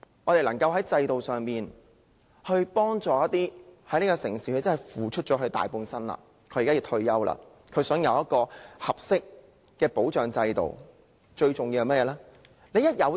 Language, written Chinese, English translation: Cantonese, 便是在制度上幫助那些為這座城市付出大半生，如今要退休並想得到合適保障制度的人。, We should by institutional means provide assistance to those people who have contributed the better part of their lives for this city people who have to retire now and wish to access a system of suitable protection